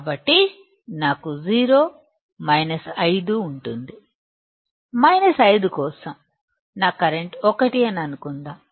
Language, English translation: Telugu, So, I will have 0, minus 5; for minus 5 my current is let us say 1